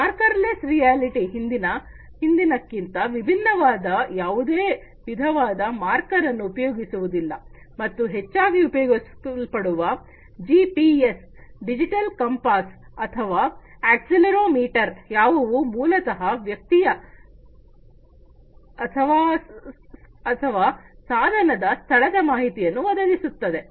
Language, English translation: Kannada, The marker less augmented reality unlike the previous one does not use any kind of marker and these commonly used things like GPS, digital compass or accelerometer, which basically help in offering information such as the location of a person or a device